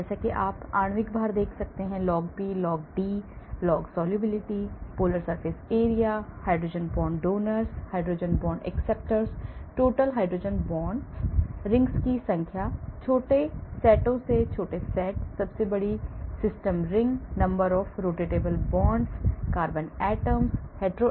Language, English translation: Hindi, as you can see molecular weight; log P, log D, log solubility , polar surface area, hydrogen bond donors, hydrogen bond acceptors, total hydrogen bond, number of rings, small set of smaller rings, biggest system ring, number of rotatable bonds, carbon atoms, hetero atoms